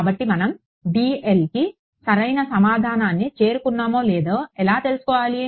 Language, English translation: Telugu, So, how do we know whether we have reach the correct answer for dl